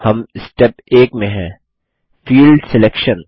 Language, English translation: Hindi, We are in Step 1 Field Selection